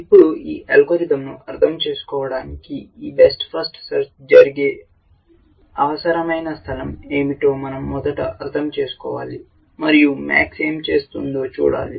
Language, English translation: Telugu, Now, to understand this algorithm first we must understand what is the space in which this best first search will happen, and look at what max does